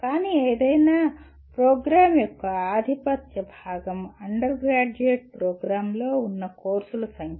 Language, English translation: Telugu, But the dominant part of any program, undergraduate program are the number of courses that you have